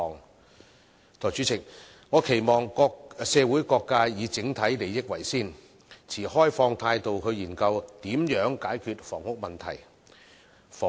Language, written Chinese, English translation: Cantonese, 代理主席，我期望社會各界以整體利益為先，持開放態度來研究如何解決房屋供應問題。, Deputy President I hope that various social sectors will accord priority to our overall interests and adopt an open attitude to explore how to resolve the housing supply problem